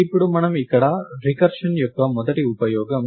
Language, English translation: Telugu, Now, we here is the first use of recursion